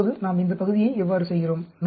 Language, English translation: Tamil, Then, how do we do this actually